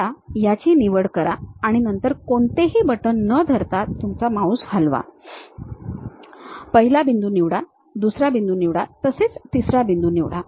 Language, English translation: Marathi, Pick that, then move your mouse without holding any button, pick first point, second point may be third point